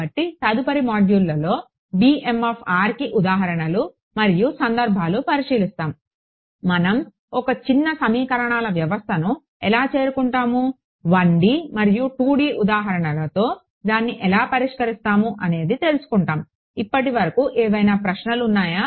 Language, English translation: Telugu, So, subsequent modules we will look at what are the examples and cases for this b b m of r, how will we arrive at a sparse system of equations, how do we solve it with 1 D and 2 D examples ok; any questions on this so far